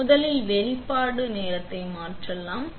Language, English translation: Tamil, So, let us change the exposure time first